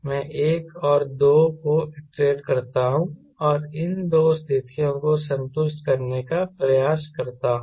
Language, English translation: Hindi, i iterate one and two and try to satisfy these two conditions